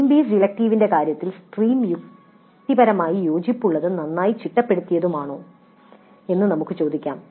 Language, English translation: Malayalam, In the case of stream based electives we can ask whether the stream is logically coherent and well structured